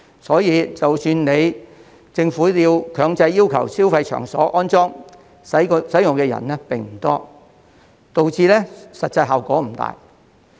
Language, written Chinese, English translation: Cantonese, 所以，即使政府強制要求消費場所安裝，使用的人並不多，導致實際效果不大。, As a result not many people have used the app even though some consumer premises are required by the Government to install the QR code with limited effect